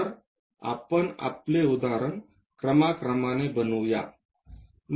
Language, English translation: Marathi, So, let us begin our example construct it step by step